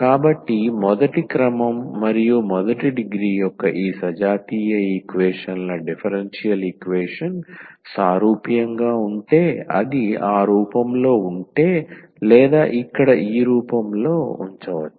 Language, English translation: Telugu, So, these homogeneous equations differential equation of first order and first degree is said to be homogeneous, if it is of the form or can be put in the form here of this